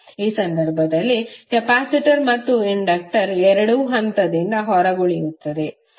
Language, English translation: Kannada, In this case capacitor and inductor both will be out of phase